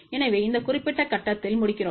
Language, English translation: Tamil, So, we conclude at this particular point